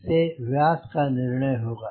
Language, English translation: Hindi, so that will decide the diameter